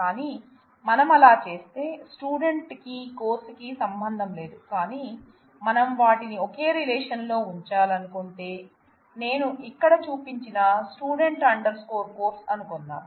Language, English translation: Telugu, But if we as such, there is no relationship between student and course, but if we choose to keep them in a single relation, say Student Course which I have shown on bottom right here